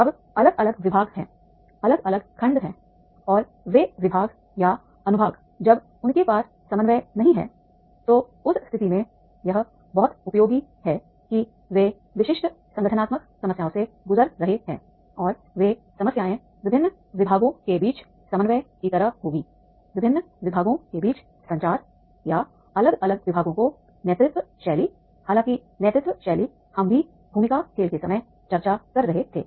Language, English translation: Hindi, Now they are different departments are there, different sections are there and those departments are sections when they are not having the coordination, then in that case it is very much useful that is the they are going through the specific organizational problems and those problems will be like coordination among the different departments, communication amongst the different departments, leadership style of the different departments, however the leadership styles we will also discussing at the time of the role playing